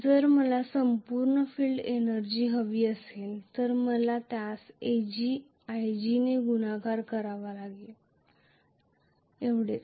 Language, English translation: Marathi, If I want the full field energy I have to multiply that by ag times lg,that’s all,right